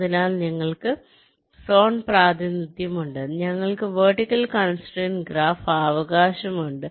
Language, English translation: Malayalam, ok, so we have the zone representation, we have the vertical constraint graph, right, so we have identified this zones